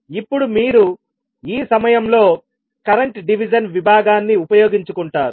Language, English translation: Telugu, Now you will utilize the current division at this point